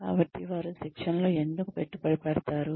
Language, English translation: Telugu, So, why do they invest in training